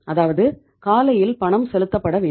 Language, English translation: Tamil, Means the payment was due to be made on the in the morning